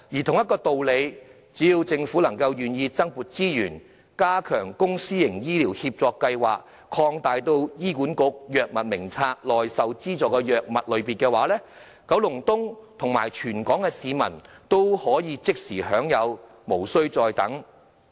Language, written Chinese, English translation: Cantonese, 同一道理，只要政府願意增撥資源，加強公私營醫療協作計劃，擴大醫管局《藥物名冊》內受資助的藥物類別，九龍東和全港的市民都可即時受惠，無須再等。, By the same token if the Government is willing to allocate additional resources to enhancing the public - private partnership programme in healthcare and expand the types of subsidized drugs in the Drugs Formulary of HA residents of Kowloon East and citizens in the whole territory can be instantly benefitted without further ado